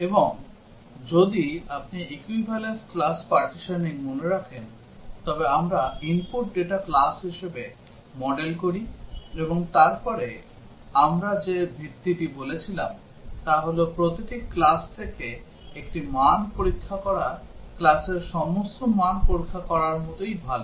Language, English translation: Bengali, And if you remember in equivalence class partitioning, we model the input data as classes and then the premise we said is that testing one value from each class is as good as testing all values in the class